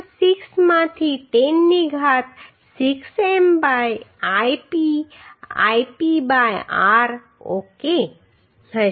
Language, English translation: Gujarati, 06 into 10 to the power 6 m by Ip Ip by into r ok